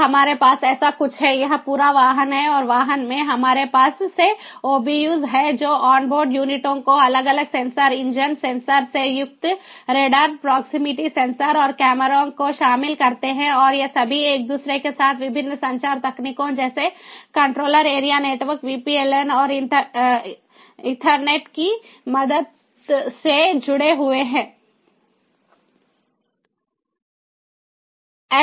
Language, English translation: Hindi, so what we have is something like this: this is the whole vehicle, this is the whole vehicle, and in the vehicle we have these obus, the onboard units, the a dash, comprising of different sensors engine sensors, brakes, lighting radars, proximity sensors and cameras and these are all connected with each other with the help of different communication technologies like controller area network, vpln and ethernet